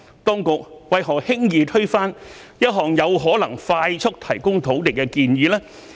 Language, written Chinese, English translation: Cantonese, 當局為何輕易推翻一項有可能快速提供土地的建議呢？, Why did the authorities overrule so easily a suggestion which might quickly provide land? . This is simply incomprehensible